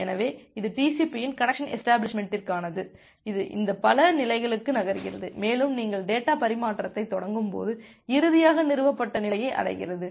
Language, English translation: Tamil, So, this is for the connection establishment of TCP that it moves to this multiple states, and finally reaches to the established state when you can initiate data transfer